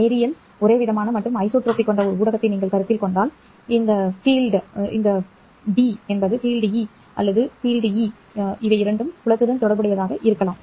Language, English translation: Tamil, If you consider a medium which is linear, homogeneous and isotropic, then this D field can be related to E field